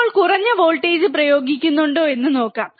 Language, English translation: Malayalam, Now, let us see if we apply a less voltage